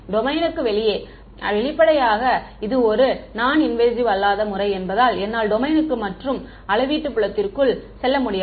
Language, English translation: Tamil, Outside the domain; obviously, because it is a non invasive method I cannot go inside the domain and measure field